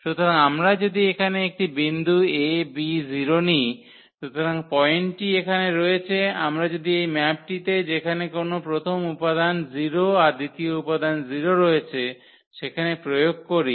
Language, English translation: Bengali, So, if we take a point here with a and b 0, so, a and b 0 then and when we apply the; so, the point is here that if we apply this map where or to any element where we have taken this first 0 and the second component 0